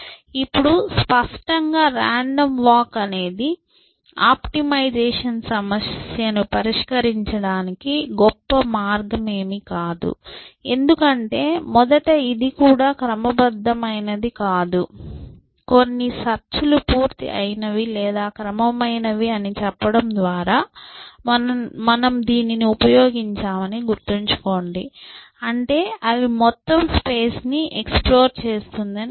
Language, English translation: Telugu, Now, obviously a random walk is not going to be a great way for solving an optimization problem, because first of all, it is not even systematic, remember that we started out by saying that some searches are complete or systematic, which means that they explores the entire space